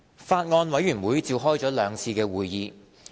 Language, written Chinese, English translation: Cantonese, 法案委員會召開了兩次會議。, The Bills Committee held two meetings